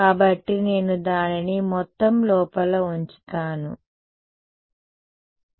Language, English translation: Telugu, So, I will keep it as total inside over here ok